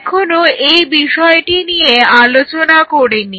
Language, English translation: Bengali, So, we have not touched that point yet